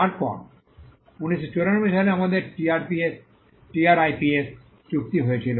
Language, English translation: Bengali, Then in 1994 we had the TRIPS agreement